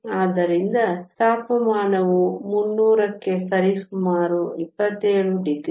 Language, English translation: Kannada, So, temperature equal to 300 is approximately 27 degrees